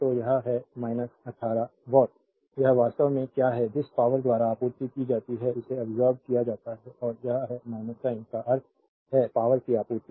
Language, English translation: Hindi, So, it is minus 18 watt this is actually what you call the power supplied by the, this is absorbed and this is minus sign means power supplied